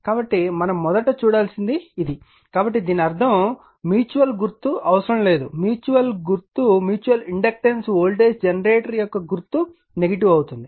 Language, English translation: Telugu, So, this why we have to see first right, so that means, sign will be that mutual you are not required mutual inductance voltage generator that sign will be negative